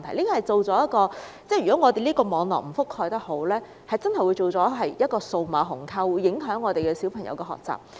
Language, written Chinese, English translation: Cantonese, 如果我們的網絡覆蓋得不夠好，真的會造成數碼鴻溝，影響小朋友學習。, If our network coverage is not extensive enough there will really be a digital gap adversely affecting the learning of children